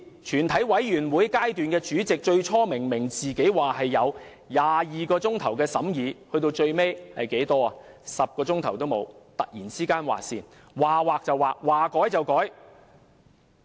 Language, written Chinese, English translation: Cantonese, 全體委員會的主席最初明明說有22小時的審議時間，最後卻連10小時也沒有，突然劃線，說劃就劃，說改就改。, Initially the Chairman of the Committee of the whole Council clearly stated that we would have 22 hours for scrutiny but then we were given less than 10 hours . Our scrutiny was ended entirely abruptly and at will